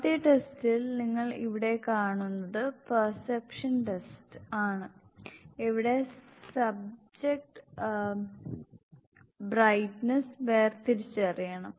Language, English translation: Malayalam, In the first test, that you will watch here is perception test, were the subject has to distinguish break test